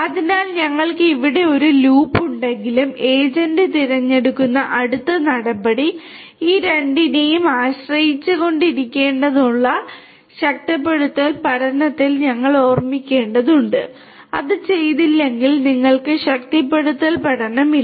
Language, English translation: Malayalam, So, you see even if we have a loop over here it is it we have to keep in mind in reinforcement learning that the next course of action that the agent will choose has to be dependent on these two; if that is not done then you know you do not have the reinforcement learning